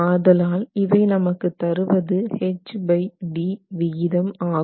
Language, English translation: Tamil, So, it's really giving you the H by D ratio